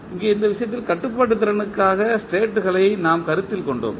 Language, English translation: Tamil, Here in this case, we considered states for the controllability